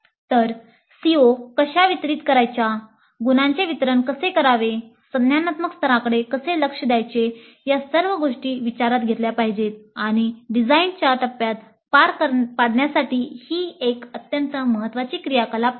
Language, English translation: Marathi, So how how the COs are to be distributed, how the marks are to be distributed, how the cognitive levels are to be as addressed, all these things must be taken into account and this is an extremely important activity to be carried out during the design phase